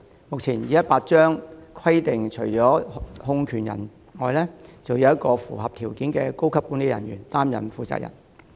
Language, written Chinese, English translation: Cantonese, 目前《旅行代理商條例》規定，除控權人外，要有一名符合條件的高級人員出任負責人。, At present the Travel Agents Ordinance Cap . 218 TAO stipulates that in addition to a controller one officer who meets the requirements concerned should act as the responsible person